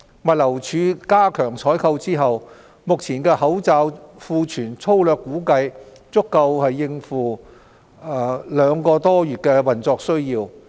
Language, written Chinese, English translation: Cantonese, 物流署加強採購之後，目前的口罩庫存粗略估計足夠政府各部門約兩個多月的運作需要。, Following GLDs stepping up of procurement efforts the current stock of masks is sufficient for the operational needs by various government departments for about more than two months based on the broad estimates